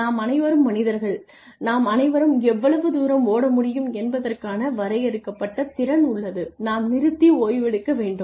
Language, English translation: Tamil, We are all human beings and we all have a limited capacity for how far we can run we need to stop and take rest